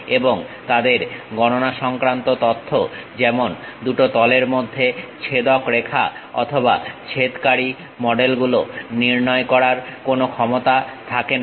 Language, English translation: Bengali, And, they do not have any ability to determine computational information such as the line of intersection between two faces or intersecting models